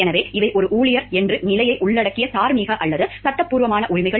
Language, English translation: Tamil, So, these are rights which are any rights which are moral or legal that involves the status of being an employees